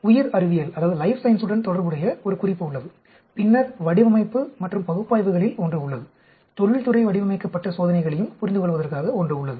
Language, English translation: Tamil, There is a reference relates to life sciences and then, there is one on design and analysis; there is also understanding industrial designed experiments